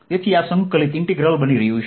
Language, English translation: Gujarati, so this is going to be integral